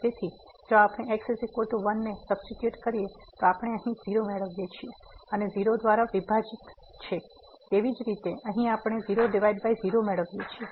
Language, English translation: Gujarati, So, if we substitute is equal to simply we are getting here and divided by; similarly here as well we are getting divided by